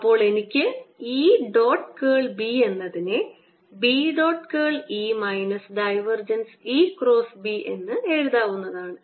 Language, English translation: Malayalam, therefore i can write e dot curl of b as b dotted with curl of e, minus divergence of e cross b